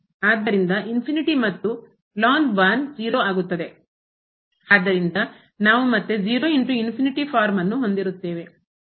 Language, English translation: Kannada, So, infinity and will become 0 so, we will have again the 0 into infinity form